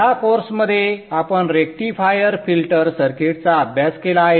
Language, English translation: Marathi, So in this course, in this course we have studied the rectifier filter circuit